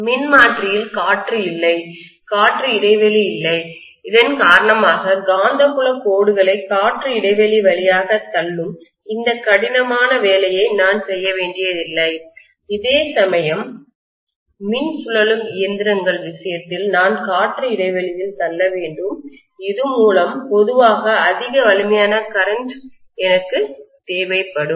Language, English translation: Tamil, In the transformer, there is no air, there is no air gap because of which, I do not have to do this tough job of pushing the magnetic field lines through the air gap whereas in the case of an electrical rotating machine I have to push it through the air gap which means I will require more strength of the current generally